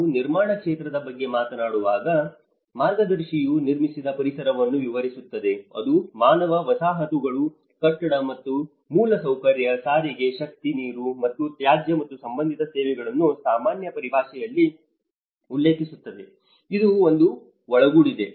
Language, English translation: Kannada, When we talk about the built environment, the guide describes the built environment which refers in general terms to human settlements, building and infrastructure, transport, energy water, and waste and related services and it also includes the commercial property and construction industries and the built environment and the related professions